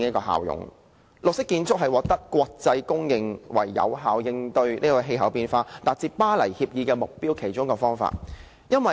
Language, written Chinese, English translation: Cantonese, 採用綠色建築是國際公認為有效應對氣候變化及達致《巴黎協定》的目標的其中一個方法。, The idea of green buildings is an internationally recognized way of effectively tackling climate change and achieving the targets of the Paris Agreement